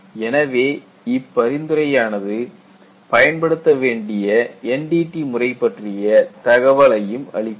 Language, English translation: Tamil, So, the recommendation has to incorporate, what is the method of NDT we are going to employ